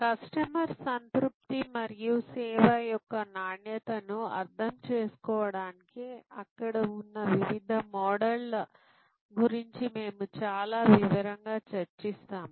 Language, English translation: Telugu, We will discussion in lot more detail about the various models that are there for understanding customer satisfaction and quality of service